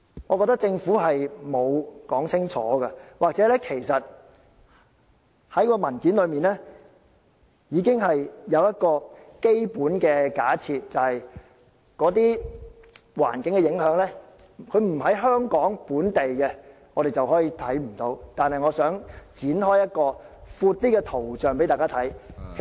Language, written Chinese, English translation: Cantonese, 我認為政府並沒有說清楚這一點的，或者在文件上，其實它已經有一個基本假設，就是做法對於環境的影響並非在香港本地出現，所以我們便可當作看不到。, I think the Government has yet to expound on this clearly . Alternatively the paper has actually assumed that we can ignore the environmental impact resulted from the decision if it is not going to be seen locally in Hong Kong